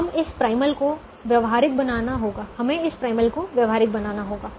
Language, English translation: Hindi, we have to make this primal feasible